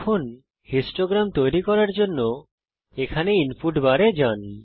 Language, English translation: Bengali, Now to create the histogram , go to the input bar here